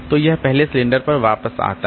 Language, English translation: Hindi, So, it simply comes back to the first cylinder